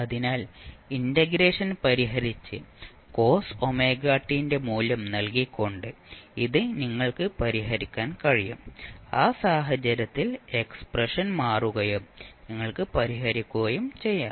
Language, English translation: Malayalam, So, this you can verify offline by solving the integration and putting up the value of cos omega t, the expression will change in that case and you will solve